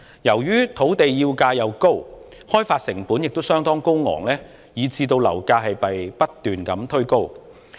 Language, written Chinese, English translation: Cantonese, 由於土地叫價高，開發成本亦相當高昂，以致樓價不斷被推高。, Since the asking prices of land are high and the costs of development are also quite high property prices are driven up continually